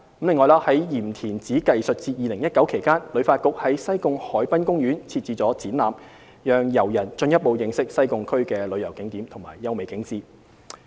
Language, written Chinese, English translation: Cantonese, 此外，在"鹽田梓藝術節 2019" 期間，旅發局在西貢海濱公園設置了展覽，讓遊人進一步認識西貢區的旅遊景點及優美景致。, During the Yim Tin Tsai Arts Festival 2019 HKTB has also set up an exhibition in Sai Kung Waterfront Park for visitors to explore the attractions and natural landscape of Sai Kung